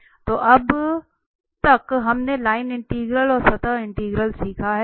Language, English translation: Hindi, So, so far we have learned the line integrals and the surface integral